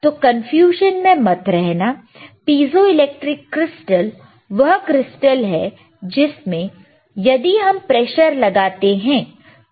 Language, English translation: Hindi, So, do not get into confusion, piezoelectric crystals is the crystal that when we apply a pressure youwe will see the change in voltage, you will same change in voltage